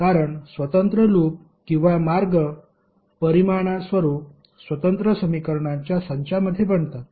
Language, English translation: Marathi, Because independent loops or path result in independent set of equations